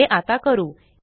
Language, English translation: Marathi, Let us do it